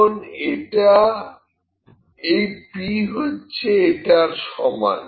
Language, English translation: Bengali, Now, this p is equal to this